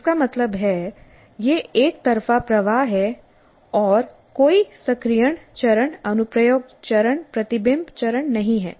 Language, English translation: Hindi, That means it is a one way of flow and there is no activation phase, there is no application phase, there is no reflection phase